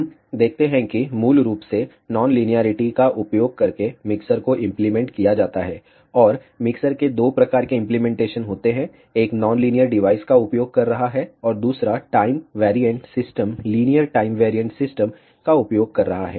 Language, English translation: Hindi, Ah We see that the mixture is implemented using non linearity basically, and there are two types of mixer implementation; one is using non linear device, and another using a time variant system linear time variant system